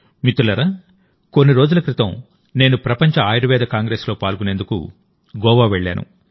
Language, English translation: Telugu, Friends, a few days ago I was in Goa for the World Ayurveda Congress